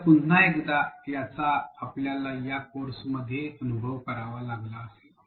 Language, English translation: Marathi, So, this is again something you would have experience with in this course itself